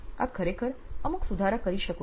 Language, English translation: Gujarati, So, you can actually make some corrections